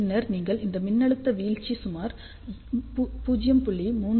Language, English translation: Tamil, And then you can approximately assume this drop to be about 0